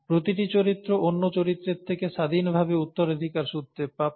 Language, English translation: Bengali, Each character is inherited independent of the other characters